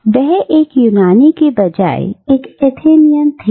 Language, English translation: Hindi, So, he was an Athenian rather than a Greek